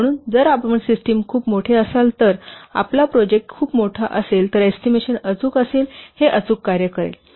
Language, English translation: Marathi, So if your system is a very large, your project is very large, then it will work perfectly